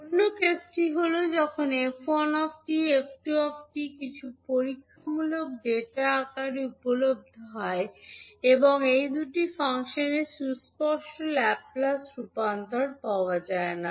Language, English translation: Bengali, Another case is that when f1t and f2t are available in the form of some experimental data and there is no explicit Laplace transform of these two functions available